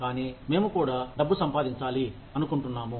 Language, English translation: Telugu, But, we also want to make money